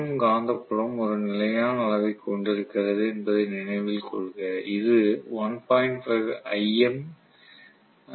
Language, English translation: Tamil, Please note the revolving magnetic field is having a constant magnitude that is 1